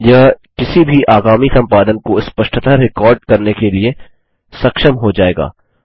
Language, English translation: Hindi, This will enable any subsequent editing to be recorded distinctly